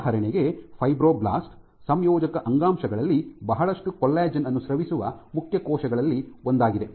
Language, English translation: Kannada, Fibroblast for example, in connective tissue are one of the main cells which secrete lot of collagen ok